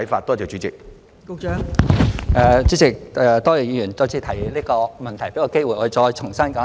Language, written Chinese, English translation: Cantonese, 代理主席，多謝議員再次提出這個問題，給我機會再重新說一遍。, Deputy President I thank the Member for raising this issue again and giving me the opportunity to repeat myself all over again